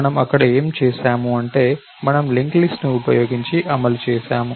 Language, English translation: Telugu, So, what did we do over there was we said, we did the implementation using the linked list